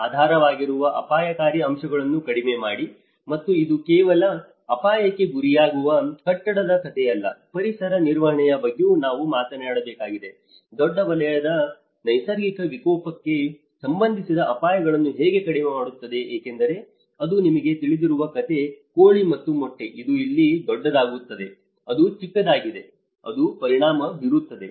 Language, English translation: Kannada, Reduce the underlying risk factors; and it is not just a story of a building which is prone to the hazard, it also we have to talk about the environmental management, how a larger sector can reduce the risks related to natural disaster because it is all a chicken and egg story you know something happens here, something happens big, something happens big it happens it affects the small thing